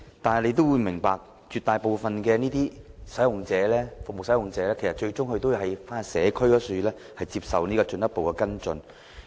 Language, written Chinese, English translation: Cantonese, 大家也明白，絕大部分的服務使用者，其實最終都要返回社區接受進一步跟進。, As Members are aware the great majority of patients using these services eventually have to return to the community for follow - up